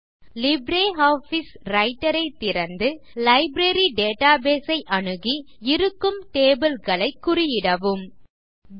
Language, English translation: Tamil, Open LibreOffice Writer, access the Library database and check the tables available there